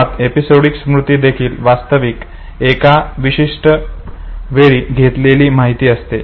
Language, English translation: Marathi, Now episodic memory represents experiences and it is basically a memory of events